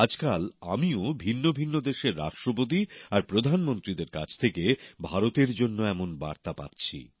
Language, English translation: Bengali, These days, I too receive similar messages for India from Presidents and Prime Ministers of different countries of the world